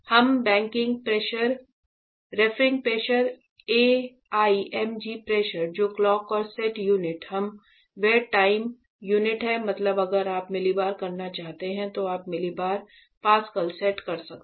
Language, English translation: Hindi, We backing pressure roughing pressure AIMG pressure what is set the clock and set unit that is the in time unit means if you want to millibar you can set millibar Pascals